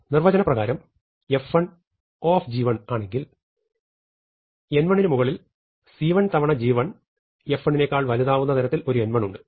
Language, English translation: Malayalam, By definition if f 1 is big O of g 1 there exists some n 1 such that beyond n 1 f 1 is dominated by c 1 of g 1 c 1 times g 1